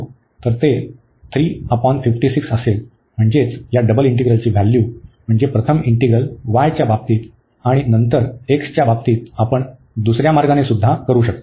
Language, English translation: Marathi, So, it will be 3 by 56, so that is the value of this double integral by taking the integral first with respect to y and then with respect to x what we can do the other way round as well